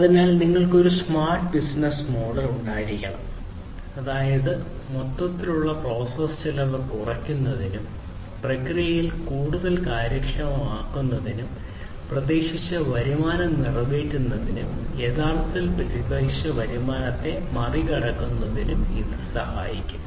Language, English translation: Malayalam, So, you need to have a smart business model, that is, that will help in reducing the overall process cost, making the processes more efficient and meeting the expected revenue and in fact, you know, exceeding the expected revenue